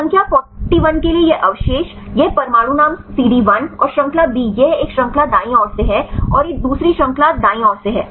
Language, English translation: Hindi, This residue for number 41, this atom name CD 1 and chain B this is from the one chain right and this is from the another chain right